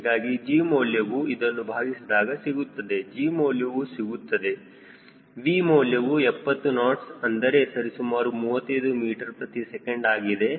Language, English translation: Kannada, so the value of g ok, this is divided by, of course we are getting g v is seventy knots, which is roughly thirty five meter per second